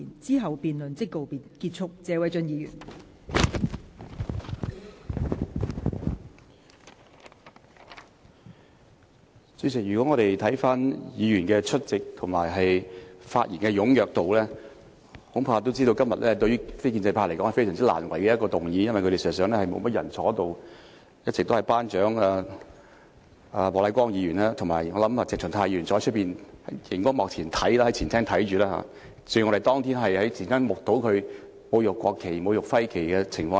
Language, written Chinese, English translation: Cantonese, 代理主席，如果我們看看出席議員的人數和發言的踴躍程度，恐怕也知道對於非建制派而言，這是一個非常難為的議案，因為事實上他們並沒有太多人在席，一直也只有"班長"莫乃光議員在席，而我想鄭松泰議員大概是在外面的前廳看直播，正如我們當天在前廳目睹他侮辱國旗和區旗的情況一樣。, Deputy President if we examine the number of attending Members and their enthusiasm in making speeches we can tell that this motion is very embarrassing to the non - establishment Members because not too many of them are present here . Only Class Monitor Charles Peter MOK has all along been here . I guess Dr CHENG Chung - tai is probably watching the live broadcast outside in the Ante - Chamber just like we were there on the same spot watching the live broadcast of his desecration of the national flags and the regional flags that day